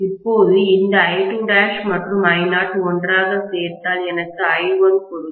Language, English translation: Tamil, Now, this I2 dash and I naught added together will give me I1